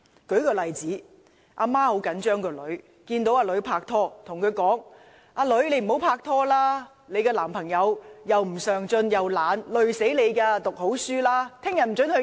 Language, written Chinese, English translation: Cantonese, 舉個例子，母親很着緊女兒，看到女兒拍拖，便對女兒說："你不應跟你的男朋友拍拖，他既不上進又懶惰，會拖累你的，你應好好讀書，明天不准出街。, Suppose a concerned mother discovers that her daughter is dating someone and says to her daughter You should not date your boyfriend . He is unambitious and lazy . He will drag you down to his level